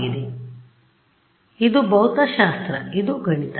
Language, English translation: Kannada, So, this is physics this is math ok